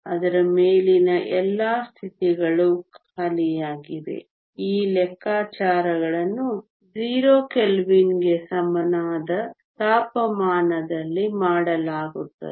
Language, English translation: Kannada, All the states above it are empty these calculations are done at temperature equal to 0 kelvin